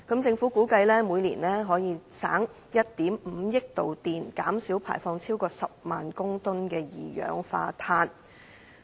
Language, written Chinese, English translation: Cantonese, 政府估計每年可因而節省1億 5,000 萬度電，減少排放超過10萬公噸二氧化碳。, The Government has estimated that around 150 million kWh of electricity and carbon dioxide emissions of 100 000 tonnes can thus be saved per annum